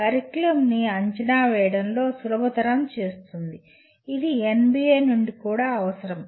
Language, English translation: Telugu, Facilitates curriculum evaluation which is also is a requirement from NBA